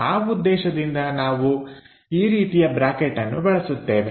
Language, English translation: Kannada, For that purpose, we use this kind of bracket